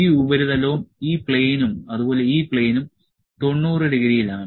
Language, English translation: Malayalam, This surface, this plane and this plane is at 90 degree